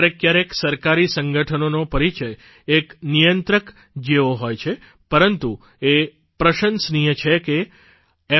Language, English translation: Gujarati, At times, government organizations are tagged as a regulator, but it is commendable that F